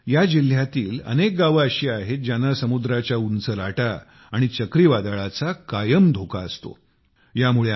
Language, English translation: Marathi, That's why there are many villages in this district, which are prone to the dangers of high tides and Cyclone